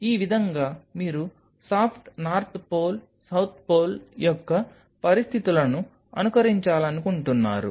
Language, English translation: Telugu, Something like you want to simulate conditions of poles soft North Pole South Pole